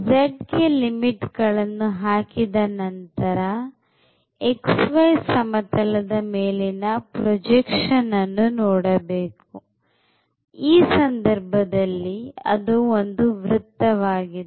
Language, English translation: Kannada, So, once we have covered the limits of z then what is left it is a projection to the xy plane and that is nothing, but the circle